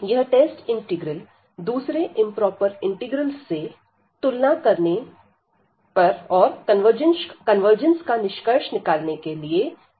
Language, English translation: Hindi, So, this test this test integral will be very useful to compare the integrals with other improper integrals and to conclude the convergence of the underline integral